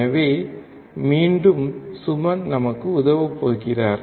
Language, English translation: Tamil, So, again Suman is going to help us